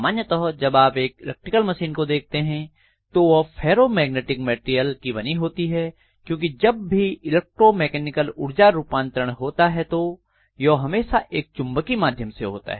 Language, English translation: Hindi, So if you look at any of the electrical machine normally they are going to be made up of ferromagnetic materials, because if you look at electromechanical energy conversion it is always through a magnetic via media